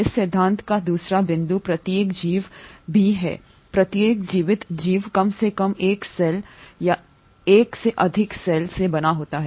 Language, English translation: Hindi, Also the second point of this theory is each organism, each living organism is made up of at least one cell or more than one cell